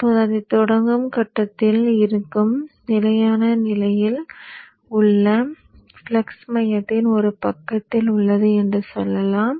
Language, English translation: Tamil, Now let us say the flux are in the steady state, at the point of starting it is at one side of the core